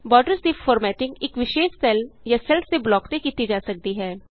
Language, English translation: Punjabi, Formatting of borders can be done on a particular cell or a block of cells